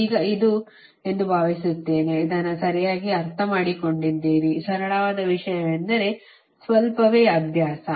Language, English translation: Kannada, this is this you have understood right, the simple thing, only little bit a practice right now